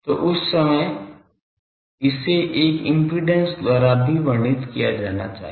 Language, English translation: Hindi, So, that time it should also be described by a impedance